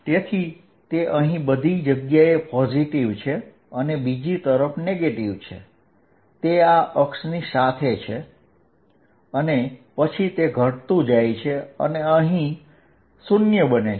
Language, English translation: Gujarati, So, that it is positive all over here and negative on the other side maximum being along this axis and then it diminishes and becomes 0 here